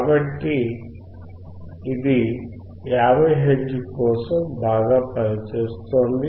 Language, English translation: Telugu, So, it is working well for 50 hertz